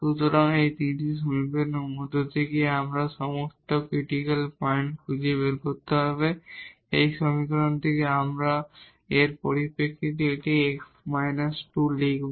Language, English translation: Bengali, So, out of these 3 equations we have to find all the critical points, from this equation first we will write down this x minus 2 in terms of lambda